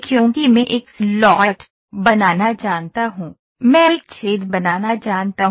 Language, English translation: Hindi, Because I know to create a slot, I know to create a hole right